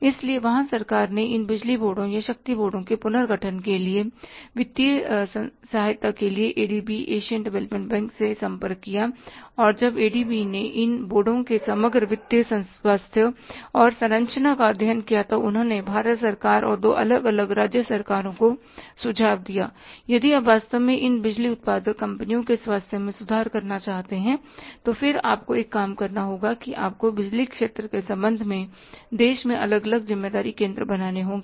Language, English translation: Hindi, So, there government approached ADB, Asian Development Bank for the financial aid for restructuring these electricity boards or the power boards and when the ADB studied the overall financial health and structure of these boards, they suggested to the government of India as well as to different state governments that if you want to improve, really improve the health of these boards or these electricity generating companies, then you have to do one thing that you have to create different responsibility centres in the country with regard to the power sector